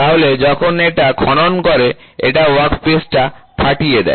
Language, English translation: Bengali, So, when it digs, it ruptures the workpiece